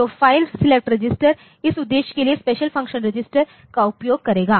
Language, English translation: Hindi, So, file select register will be using the special function registers for this purpose